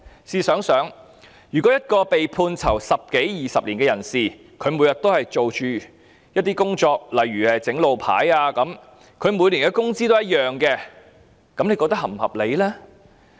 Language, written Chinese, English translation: Cantonese, 試想想，如果一個被判囚十多二十年的人，每天也做同類工作，例如製作路牌，而他每年的工資也一樣，大家認為是否合理呢？, Think about this If a person who was sentenced to imprisonment for 10 - odd years or 20 years does the same type of work every day such as making road signs and if he makes the same amount of earnings every year do Members consider it reasonable?